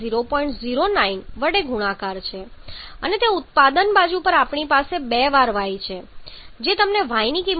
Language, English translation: Gujarati, 09 coming from H2 and that is equal to on the product side we have twice Y giving you the value of y to be equal to 1